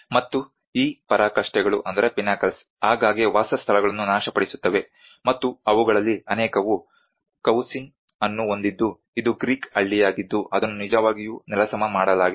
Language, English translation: Kannada, And these pinnacles often collapse destroying the dwellings and you can see many of those have the Cavusin which is a Greek village which has actually been demolished